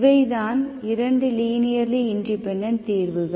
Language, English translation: Tamil, And these are 2 linearly independent solutions